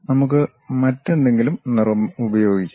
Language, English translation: Malayalam, Let us use some other color